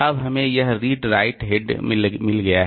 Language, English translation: Hindi, Now we have got this read right head